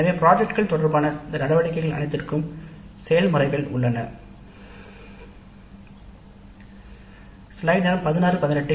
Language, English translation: Tamil, So we have processes for all these activities related to the projects